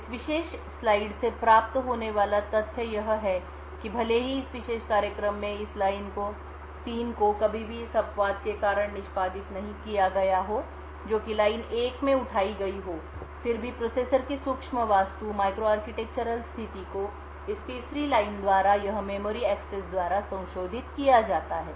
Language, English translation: Hindi, The takeaway from this particular slide is the fact that even though this line 3 in this particular program has never been executed due to this exception that is raised in line 1, nevertheless the micro architectural state of the processor is modified by this third line by this memory access